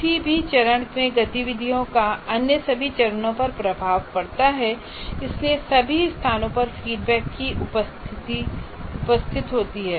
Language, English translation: Hindi, Activities any phase have impact on all other phases and hence the presence of feedbacks at all places